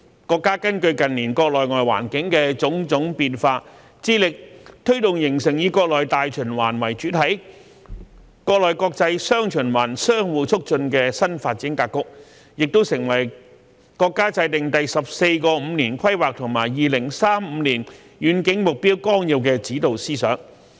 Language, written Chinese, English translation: Cantonese, 國家根據近年國內外環境的種種變化，致力推動形成以國內大循環為主體、國內國際"雙循環"相互促進的新發展格局，也成為國家制訂《第十四個五年規劃和2035年遠景目標綱要》的指導思想。, Based on various domestic and external changes in the recent years the country endeavours to push forward the formation of a new development pattern of taking domestic circulation as the mainstay with domestic and international dual circulation interacting positively with each other which has also become the countrys guiding principle in formulating the Outline of the 14th Five - Year Plan for National Economic and Social Development of the Peoples Republic of China and the Long - Range Objectives Through the Year 2035